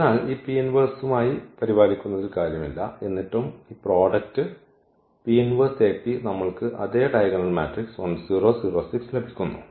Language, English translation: Malayalam, So, does not matter that will be taken care by this P inverse and still this product will give us the same diagonal matrix 1 0 0 6